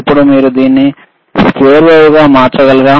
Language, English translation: Telugu, Now, can you change it to square wave please